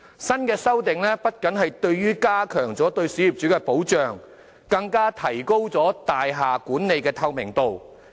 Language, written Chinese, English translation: Cantonese, 新的修訂不僅加強對小業主的保障，更提高大廈管理的透明度。, The new amendments will not only strengthen the protection for small property owners but also enhance the transparency of building management